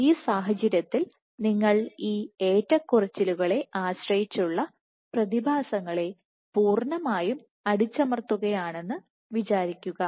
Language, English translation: Malayalam, So, in this case if you were to completely suppress these fluctuation dependent phenomena